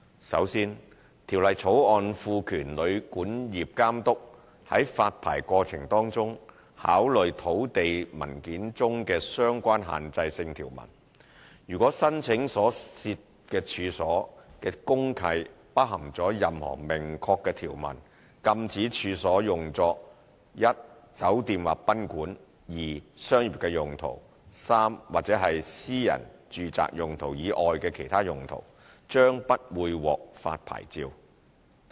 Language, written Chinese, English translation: Cantonese, 首先，《條例草案》賦權旅館業監督在發牌過程中考慮土地文件中的相關限制性條文，如果申請所涉處所的公契包含任何明確條文，禁止處所用作一酒店或賓館；二商業用途；或三私人住宅用途以外的其他用途，將不會獲發牌照。, First the Hotel and Guesthouse Accommodation Authority will be empowered to take into account relevant restrictive provisions in land documents in the licensing process . The Authority may refuse to issue licence to an applicant if DMC of the premises concerned contains any express provision which prohibits the premises concerned from being used i as a hotel or guesthouse ii for commercial purpose; or iii otherwise than for private residential purpose